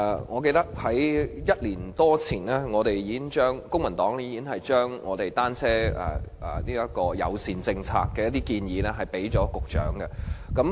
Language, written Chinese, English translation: Cantonese, 我記得在1年多前，公民黨已經向局長提交一些有關單車友善政策的建議。, I recall that the Civic Party already put forward proposals on such a policy more than a year ago